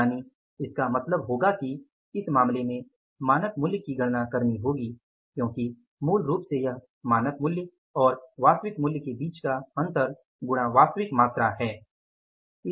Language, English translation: Hindi, So, it means in this case we will have to calculate the standard price because basically the difference between the standard price and the actual price and multiplied by the actual quantity